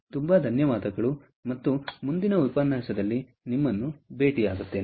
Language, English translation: Kannada, ok, so thank you very much, and we will meet you in the next lecture